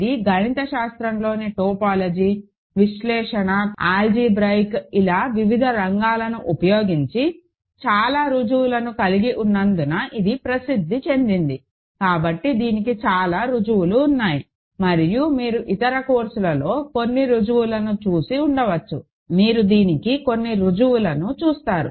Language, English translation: Telugu, It is also famous because it has lots of proofs using different fields of mathematics; topology, analysis, algebra, so there are lots of proofs of this and you may have seen some proofs in other courses, you will see some proofs of this